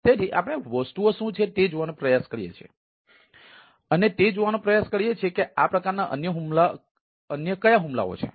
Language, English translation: Gujarati, right, so we try to see that what are the things and try to see that what type of other attacks